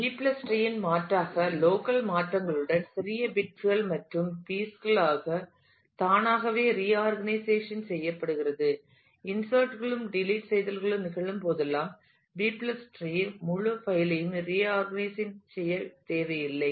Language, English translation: Tamil, In contrast advantage of B + tree is it automatically reorganizes itself in small bits and pieces with local changes and so, on; whenever insertions and deletions happen and the reorganization of the entire file is not required for the purpose of maintenance